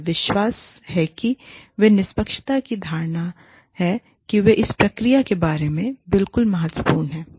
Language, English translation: Hindi, The faith, that they have, the perception of fairness, that they have, regarding the process, is absolutely crucial here